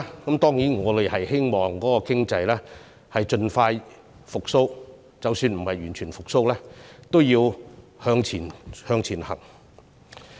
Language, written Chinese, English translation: Cantonese, 我們當然希望經濟盡快復蘇，而即使經濟未能完全復蘇，我們仍要向前走。, We certainly hope that the economy will recover soon . Even if it is unable to recover completely we still have to progress forward